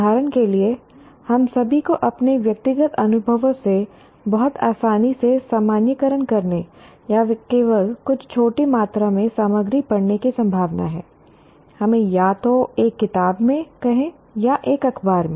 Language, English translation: Hindi, For example, we, all of us are prone to generalize very readily from our personal experiences or merely reading some small amount of material, let us say either in a book or in a newspaper